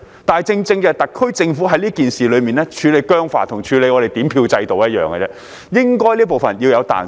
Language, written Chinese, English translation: Cantonese, 但是，特區政府在這件事情上處理僵化，跟處理點票程序一樣，這方面應該是要有彈性的。, However the HKSAR Government is rigid in handling this matter just like the vote counting process and there should be flexibility in this regard